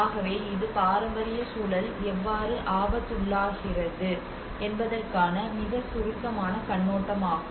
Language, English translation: Tamil, So this is a very brief overview of how the heritage context comes under risk